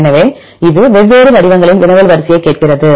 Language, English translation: Tamil, So, it asks the query sequence in different formats